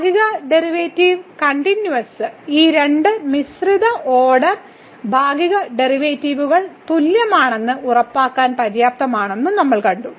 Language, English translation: Malayalam, And what we have also seen that the continuity of the partial derivative is sufficient to ensure that these two mixed order partial derivatives are equal